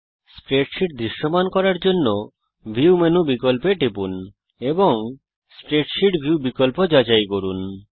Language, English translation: Bengali, To make the spreadsheet visible go to the view menu option and check the spreadsheet view option